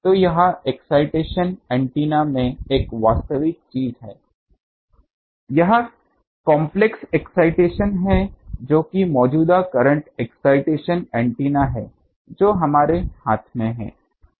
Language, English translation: Hindi, So, this excitation of these is a thing actual thing in array antenna this complex excitation that is current excitation antenna that is in our hand